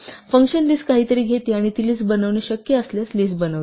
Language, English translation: Marathi, So, the function list takes something and makes it a list if it is possible to make it a list